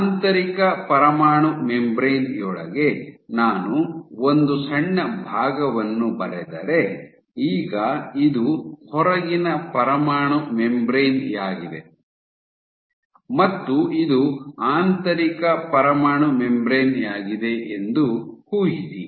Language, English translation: Kannada, So, inside the inner nuclear membrane so if I draw a short segment of imagine that this is my outer nuclear membrane and this is my inner nuclear membrane